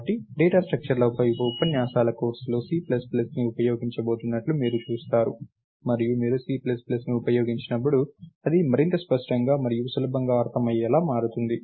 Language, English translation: Telugu, the lectures on data structures is going to use C plus plus, and it becomes much more cleaner and easily understandable when you use C plus plus